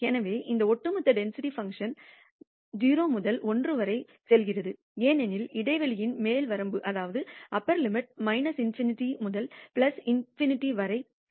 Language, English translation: Tamil, So, this cumulative density function goes from 0 to 1 as the upper limit of the interval goes from minus infinity to plus infinity